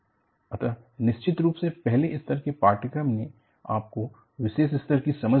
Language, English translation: Hindi, So, definitely the first level of the course has given you certain level of understanding